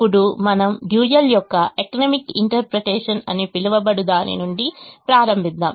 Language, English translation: Telugu, now we start something called the economic interpretation of the dual